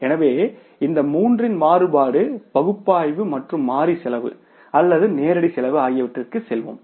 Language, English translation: Tamil, So, we will go for the variance analysis of these three components of the variable cost or the direct cost